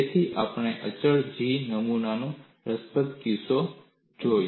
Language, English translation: Gujarati, So, we saw the interesting case of constant G specimen